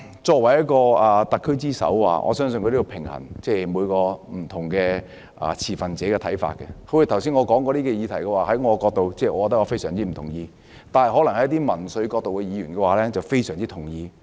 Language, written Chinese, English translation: Cantonese, 作為特區之首，我相信她要平衡不同持份者的看法，正如剛才我提及的議題，在我的角度來看，我非常不同意，但一些從民粹角度出發的議員，則可能非常同意。, I believe she as the head of SAR has to strike a balance between the views of stakeholders . Take the issues that I have just mentioned as examples . From my standpoint I strongly oppose the measures